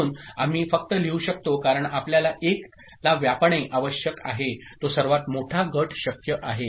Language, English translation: Marathi, So, as we can simply write it this way, because we need to cover only the 1s, that is the largest group possible